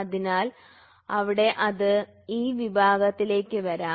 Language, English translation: Malayalam, So, there it can come into that category